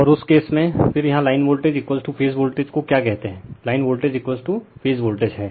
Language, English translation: Hindi, And in that case, your then here line voltage is equal to phase voltage your what you call line voltage is equal to phase voltage